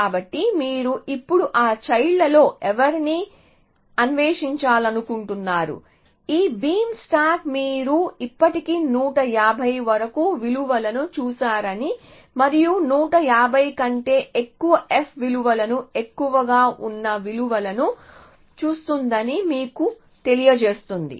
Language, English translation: Telugu, So, you go to these nodes, generate their children again, so again which of those children do you want to now explode, this beam stack will tell you that you have already seen values up to 100 and 50 and look at value which are greater than 1 50 essentially f values